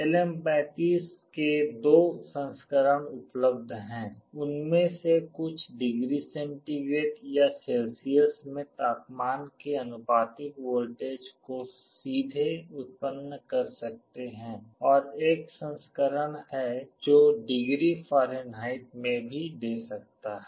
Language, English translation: Hindi, There are two versions of LM35 available, some of them can directly generate a voltage proportional to the temperature in degree centigrade or Celsius, there is another version that can also give in degree Fahrenheit